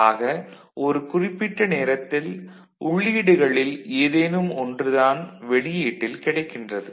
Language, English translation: Tamil, So, at a given time only one of the input will be available at the output